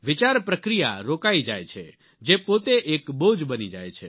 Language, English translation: Gujarati, The thought process comes to a standstill and that in itself becomes a burden